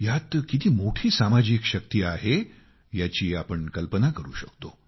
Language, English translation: Marathi, You can well imagine the social strength this statement had